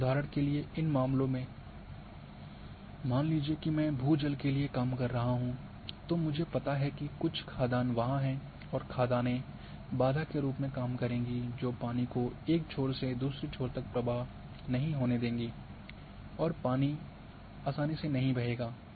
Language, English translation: Hindi, And example here in this case, suppose I am working for ground water I know there are say some dice or say quasaries are there and quasaries will serve as barrier which will not allow flow of water from one end to across these quarries and the water might not flow smoothly